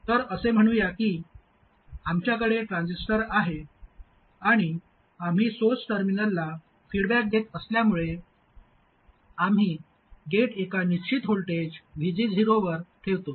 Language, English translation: Marathi, So let's say we have the transistor and because we are feeding back to the source terminal, we keep the gate at a fixed voltage VG 0